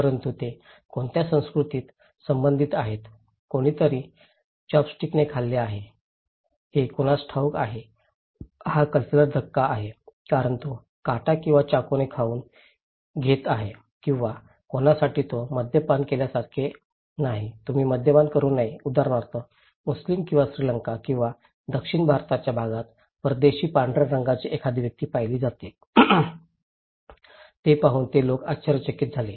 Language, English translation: Marathi, But which culture they belong that matter, for somebody is eating with chopstick, is okay for somebody it’s cultural shock because it is eating by fork or knife or for someone, it is like no alcohol, you should not drink alcohol, for Muslims example or a foreign white skinned person is seen in a part of Sri Lanka or South India, this people are so surprised to see this one